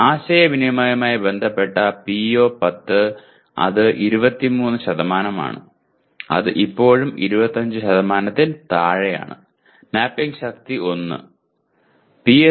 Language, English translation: Malayalam, And the PO10 which is related to communication and it constitutes 23% which is still less than 25%, the mapping strength is 1